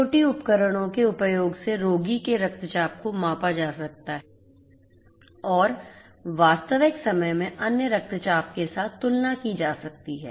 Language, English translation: Hindi, Using IIoT devices the patient’s blood pressure is measured and compared with the other blood pressures in real time